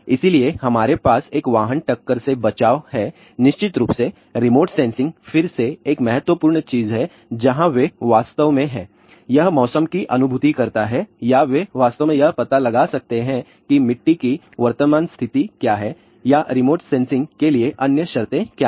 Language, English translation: Hindi, So, in that we have a vehicle collision avoidance, of course, ah remote sensing is again a very very important thing where they actually; it sense the weather or they can actually find out what is the soil current conditions or what are the other conditions for remote sensing